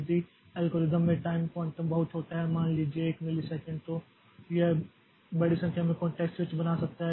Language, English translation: Hindi, If the algorithm the time quantum is extremely small, say 1 millisecond then it can create a large number of context switches